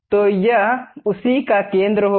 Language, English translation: Hindi, So, it will be center of that